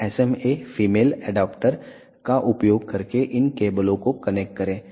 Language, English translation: Hindi, So, connect these cables using SMA female adaptor